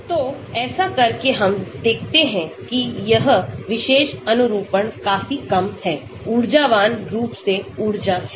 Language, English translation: Hindi, So, by doing that so we can see this particular conformation is quite low, energy wise energetically